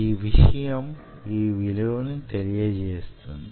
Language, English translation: Telugu, now, that stuff will tell you this value